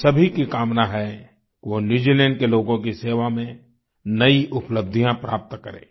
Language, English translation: Hindi, All of us wish he attains newer achievements in the service of the people of New Zealand